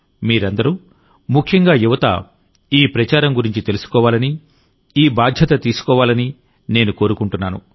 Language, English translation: Telugu, I would like all of you, and especially the youth, to know about this campaign and also bear responsibility for it